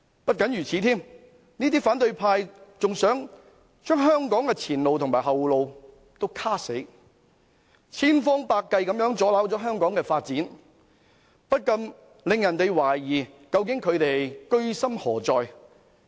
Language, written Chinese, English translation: Cantonese, 不僅如此，這些反對派還想堵死香港的前路和後路，千方百計阻撓香港發展，不禁令人懷疑他們究竟居心何在。, In addition to this those from the opposition camp even attempt to block the way ahead and retreat for Hong Kong exhausting every means to impede the development of Hong Kong . We cannot but wonder what they are up to